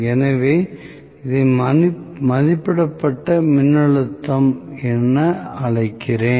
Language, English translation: Tamil, So, let me call probably this as rated voltage